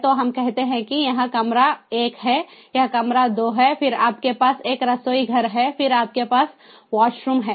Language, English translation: Hindi, so let us say that this is a room one, this is room two, then you have a kitchen, then you have the wash room